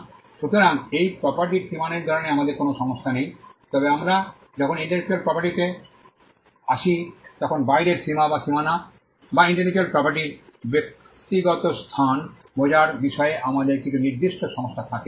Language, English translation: Bengali, So, we do not have problems in ascertaining the boundaries of this property whereas, when we come to intellectual property, we do have certain issues as to understanding the outer limits or the boundaries or the private space of intellectual property